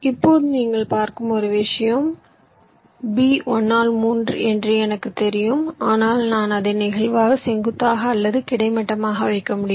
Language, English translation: Tamil, now one thing, you see, see, although i know that b is one by three, but i can lay it out either vertically or horizontally, that flexibility i have